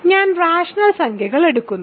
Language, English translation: Malayalam, So, I am taking rational numbers